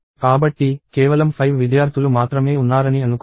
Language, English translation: Telugu, So, let us say there are only 5 students